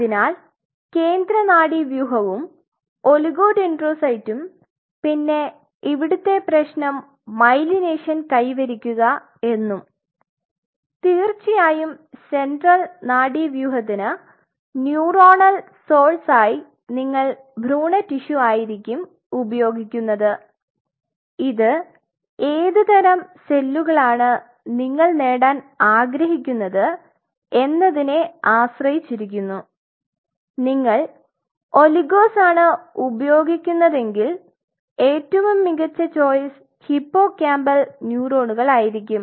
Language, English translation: Malayalam, So, central nervous system and oligodendrocyte and the problem is achieving myelination of course, for neuronal source central nervous system you are using embryonic tissue which depending on what kind of cells you want to achieve for what kind of cells if you are using oligos and of course, your best wet will be hippocampal neurons which I have already talked to you